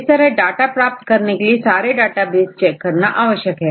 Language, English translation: Hindi, So, for getting a data set, they have to check all the databases